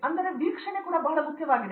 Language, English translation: Kannada, So the observation also is very, very important